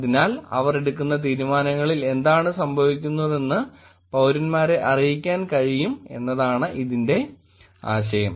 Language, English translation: Malayalam, So the idea is that citizens can inform about what is going on in the decisions that they are making